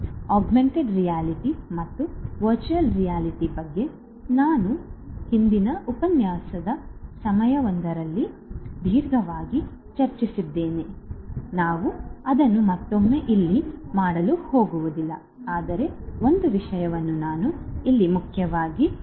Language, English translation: Kannada, So, augmented reality as well as virtual reality we have discussed in length in a previous lecture we are not going to do that once again over here, but one thing I would like to highlight over here